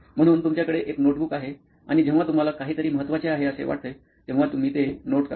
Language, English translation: Marathi, So you carry a notebook and if you feel there is something that is important, you note it down